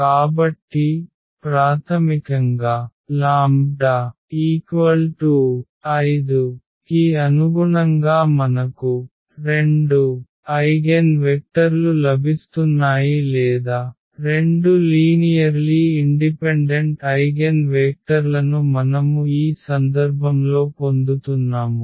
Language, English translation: Telugu, So, basically corresponding to lambda is equal to 5 we are getting 2 eigenvectors or rather to say 2 linearly independent eigenvectors, we are getting in this case